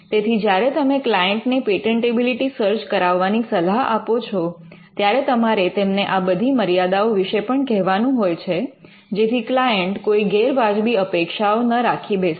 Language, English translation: Gujarati, So, these are the limitations of a patentability search, you would normally advise the client about the patentability search, because of these limitations so that there are no unreasonable expectations from the client